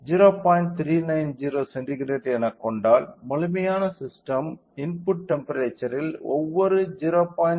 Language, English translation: Tamil, 39 degree centigrade, then the complete system can give the change in the input temperature for every 0